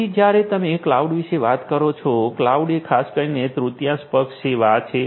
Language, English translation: Gujarati, So, when you are talking about cloud; cloud is typically a third party service